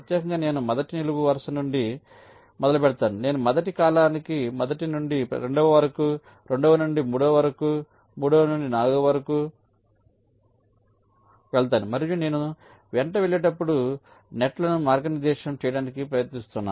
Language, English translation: Telugu, i look at the problem incrementally, specifically, i start from the first column, i go on moving to successive column, first to second, second to third, third to fourth, and i incrementally try to route the nets as i move along greedy means